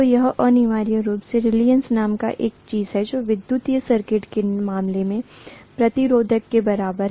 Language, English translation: Hindi, So this is essentially something called reluctance which is equivalent to the resistance in the case of an electric circuit